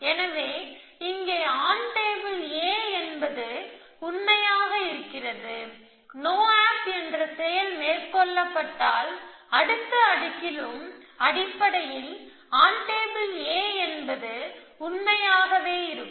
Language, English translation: Tamil, So, this we have been here on table A was true here and if I do a no op then on table A will be true in the next layer essentially